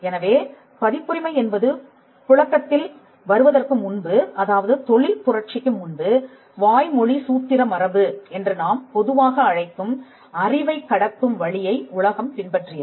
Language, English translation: Tamil, So, before copyright came, I mean this is just before the industrial revolution, the world followed a means of transmitting knowledge what we commonly called the oral formulaic tradition